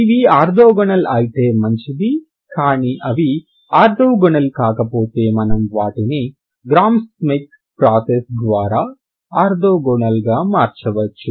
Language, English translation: Telugu, If they are not orthogonal you can make them orthogonal by Gram smith process